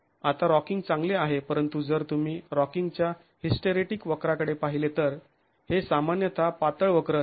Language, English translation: Marathi, Now, rocking is good but if you look at the hysteric curve for rocking, it's typically a thin curve